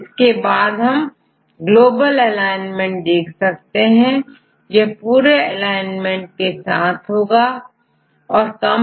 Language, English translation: Hindi, Then we do a global alignment, the global alignment will give you the whole alignment for the complete set of the sequence